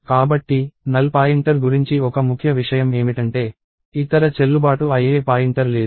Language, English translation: Telugu, So, one key thing about the null pointer is that no other valid pointer